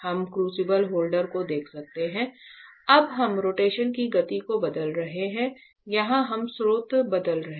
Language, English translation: Hindi, We can see the crucible holder now we are changing the speed of the rotation here we are changing the source